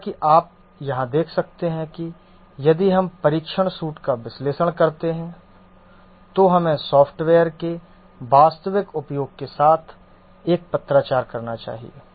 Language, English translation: Hindi, As you can see here that if we analyze the test suit we should find a correspondence with the actual uses of the software